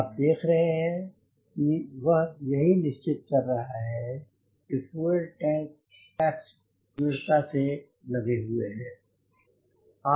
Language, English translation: Hindi, ah, he is ensuring that the fuel tank caps are secured, properly secured